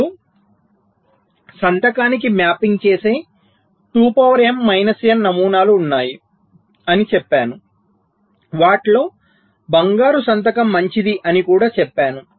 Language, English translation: Telugu, now i said there are two to the power m minus n patterns which are mapping into a signature, also the golden signature